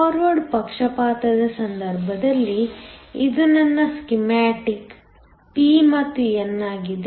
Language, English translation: Kannada, In the case of forward bias, this is my schematic p and n